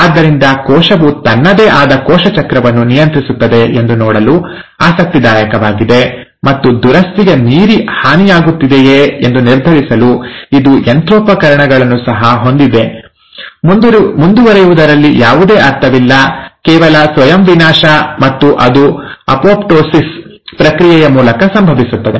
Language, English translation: Kannada, So it's interesting to see that the cell regulates its own cell cycle, and it also has machinery in place to decide if there are damages happening beyond repair, it's no point passing it on, just self destruct, and that happens through the process of apoptosis